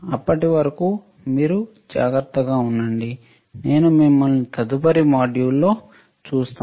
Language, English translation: Telugu, Till then you take care I will see you in the next module bye